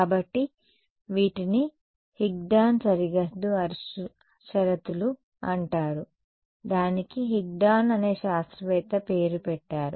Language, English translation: Telugu, So, these are called Higdon boundary conditions named after the scientist who ok